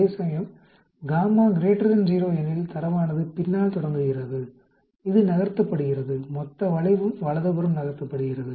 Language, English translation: Tamil, Whereas if gamma is greater than 0, that means the data is starting after the; it is getting shifted the whole curve get shifted to the right